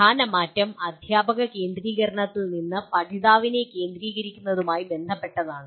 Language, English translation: Malayalam, The major shift is related to from teacher centricity to learner centricity